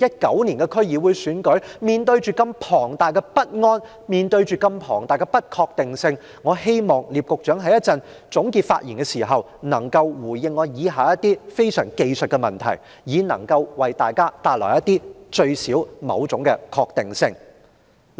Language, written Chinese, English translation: Cantonese, 今年的區議會選舉將至，面對龐大的不安、眾多的不確定性，我希望聶局長稍後能在總結發言時回應我以下提出的技術性問題，多少給予市民一點確定性。, The 2019 DC Election will soon be held . Amid huge worries and countless uncertainties I hope Secretary NIP will in his concluding speech respond to my technical questions to give us some sense of certainty